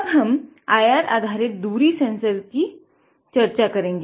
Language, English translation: Hindi, Now, we are going to discuss about a IR based distance sensor